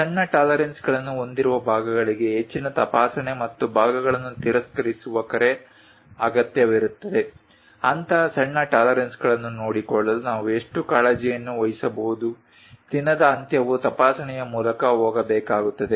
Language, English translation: Kannada, Parts with small tolerances often requires greater inspection and call for rejection of parts, how much care we might be going to take to care such kind of small tolerances, end of the day it has to go through inspection